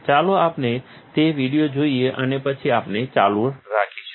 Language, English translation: Gujarati, Let us see that video and then we will continue